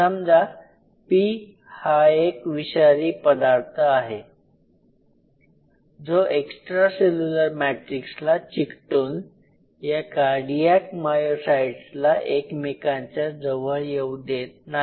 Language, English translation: Marathi, And say for example; P is some form of a Toxin which binds to extra cellular matrix and prevent the cardiac myocyte to come close to each other